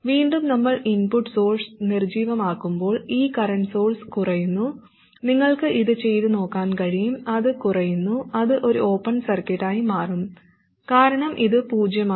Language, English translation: Malayalam, And again when we deactivate the input source, this current source drops out, it turns out, okay, you can work it out and see it will drop out, it will become an open circuit because it has zero value